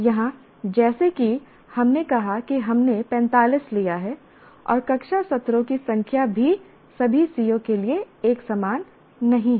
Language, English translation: Hindi, Here as we said we took it is 45 and also the number of classroom sessions are not necessarily uniform across all COs